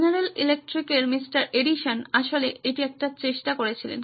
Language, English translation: Bengali, Edison from the general electric actually gave it a shot